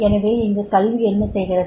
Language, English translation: Tamil, Now, what is education